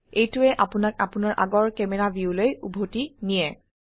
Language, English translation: Assamese, This will take you back to your previous camera view